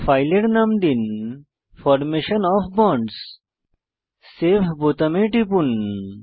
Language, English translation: Bengali, Enter the file name as Formation of bond Click on Save button